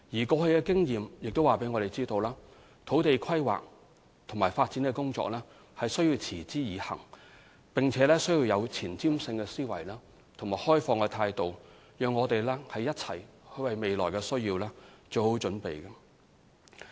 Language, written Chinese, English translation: Cantonese, 過去的經驗亦告訴我們，土地規劃和發展的工作必須持之以恆，而且需要有前瞻性的思維和開放的態度，一起為未來需要作好準備。, Our past experiences also suggest that land use planning and development require sustained efforts in addition to foresight and an open mind to prepare for the future